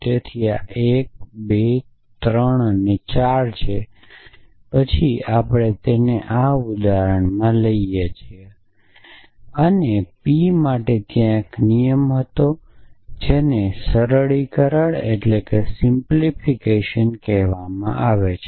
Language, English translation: Gujarati, So, this is 1 2 3 4 then we derive it for example, P from this thing and there was a rule called 1 called simplification